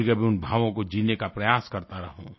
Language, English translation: Hindi, Let me sometimes try to live those very emotions